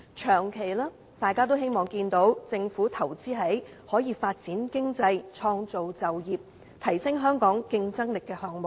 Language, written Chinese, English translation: Cantonese, 長期而言，大家也希望政府能投資在發展經濟、創造就業和提升香港競爭力的項目上。, In the long run we all hope the Government can invest in projects which are conducive to economic development jobs creation and enhancement of Hong Kongs competitiveness